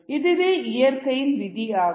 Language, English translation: Tamil, that's a law of nature